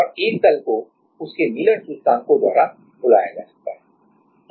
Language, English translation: Hindi, And a plane can be called by its Miller indices